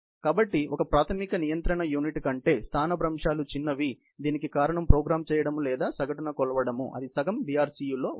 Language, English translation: Telugu, So, the reason is the displacements smaller than one basic control unit, can either be programmed or measured on an average; they account for one half BRCU